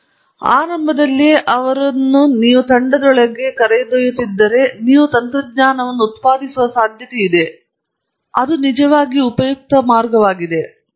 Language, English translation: Kannada, So, the idea is if you take them in the team right at the beginning then you are likely to produce technologies that will be actually useful